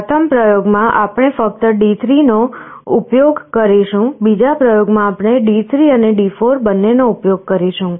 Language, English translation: Gujarati, In our first experiment we shall be using only D3, in the second experiment we shall be using both D3 and D4